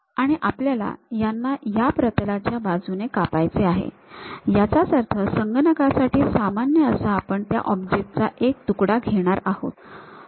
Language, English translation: Marathi, And, we would like to slice this along that plane; that means, normal to the computer you are going to take a slice of that object